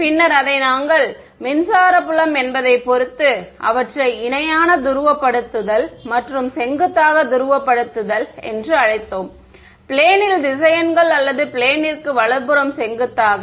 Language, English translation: Tamil, We had called it back then we had called them parallel polarization and perpendicular polarization depending on whether the electric field vectors in the plane or perpendicular to the plane right